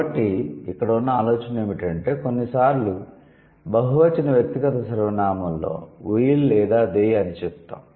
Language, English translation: Telugu, So, the idea here is that sometimes in the plural, in the plural personal pronoun, let's say we or they